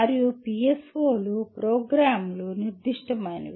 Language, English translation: Telugu, And PSOs are program specific